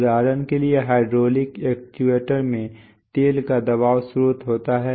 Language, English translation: Hindi, So for example, the hydraulic actuator has an oil pressure source